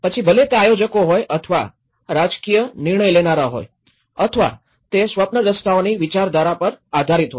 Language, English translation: Gujarati, Whether it is a planners or the political decision makers or it is based on the knowledge on ideologies of the visionaries